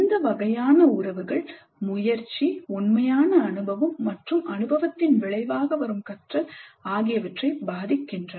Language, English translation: Tamil, These relationships influence the motivation, the actual experience and the learning that results from the experience